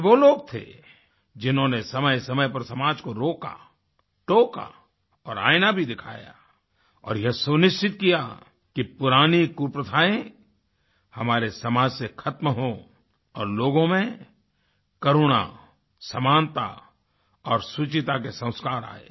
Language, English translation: Hindi, These were the people who, at times restrained and corrected the society, even showed a mirror and ensured that old evil traditions get eradicated from the society and that people inculcated a culture of compassion, equality and righteousness